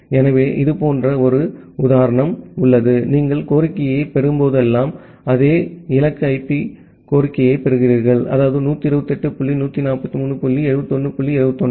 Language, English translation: Tamil, So, an example is something like this that whenever you are getting the request, you are getting the request to the same destination IP; that means, 128 dot 143 dot 71 dot 21